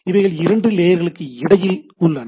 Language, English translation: Tamil, They exist between two layers